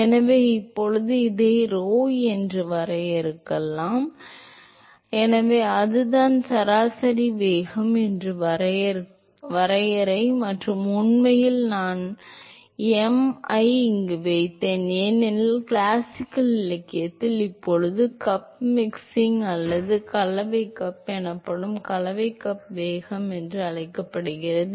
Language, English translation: Tamil, So, now we can define this as rho into, so, that is the definition um is the average velocity and in fact, I put m here because in classical literature it also called as mixing cup velocity called cup mixing or mixing cup either way it is used